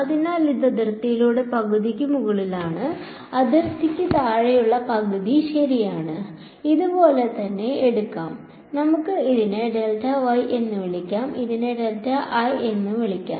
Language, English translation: Malayalam, So, it is half above the boundary half below the boundary ok, let us take something like this let us call this delta y and let us call this delta l